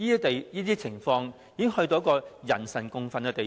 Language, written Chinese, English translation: Cantonese, 這種情況已經到了人神共憤的地步。, This situation has already aroused widespread resentment